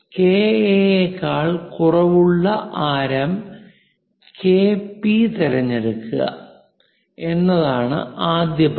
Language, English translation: Malayalam, The first step is choose a radius KP less than KA